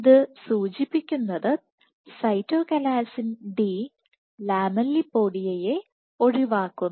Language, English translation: Malayalam, So, what you have this suggest that Cytochalasin D eliminates the lamellipodia